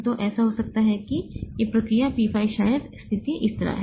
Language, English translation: Hindi, So, it may so happen that this process P5 may be the situation is like this